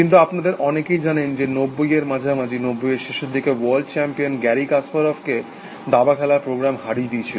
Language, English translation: Bengali, But, many of you would know that, in the mid 90s, late 90s the then world champion Garry Kasparov was beaten by chess playing program essentially